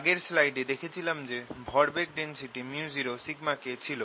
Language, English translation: Bengali, we saw in the previous slide that the momentum density was mu zero sigma k